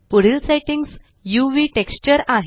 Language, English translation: Marathi, Next setting is UV texture